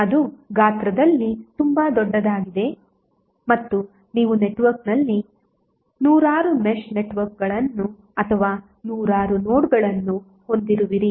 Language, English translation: Kannada, That is very large in size and you will end up having hundreds of mesh networks or hundreds of nodes in the network